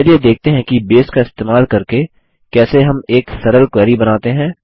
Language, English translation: Hindi, Let us see how we can create a simple query using Base